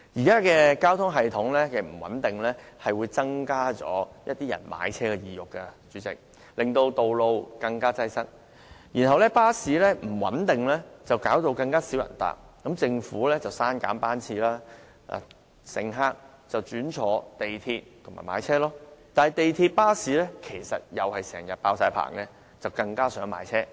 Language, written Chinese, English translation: Cantonese, 主席，交通系統不穩定，是會增加市民買車的意欲，令道路更擠塞的；巴士服務不穩定，令乘客數目下降，於是政府刪減班次，繼而令乘客轉為乘搭港鐵和買車，但港鐵和巴士其實也是經常滿座，最終令市民更想買車。, President an unreliable transport system does induce car purchase which will further congest the roads; an unstable bus services will reduce the number of passengers causing the Government to cut service frequency and therefore pushing more people to MTR or car purchase . At last the people are even more eager to buy cars when buses and MTR trains are always full